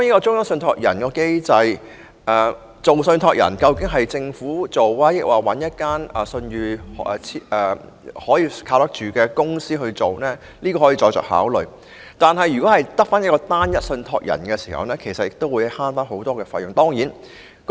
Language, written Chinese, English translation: Cantonese, 中央受託人究竟由政府充當，還是找一家具信譽又可靠的公司擔任，可以再作考慮；無論如何，以單一受託人模式運作可節省很多費用。, The issue of whether this role of a central trustee is to be played by the Government or a reputable and reliable corporation can be given more consideration in future . In any case the operation of a single trustee model will be able to save a lot of fees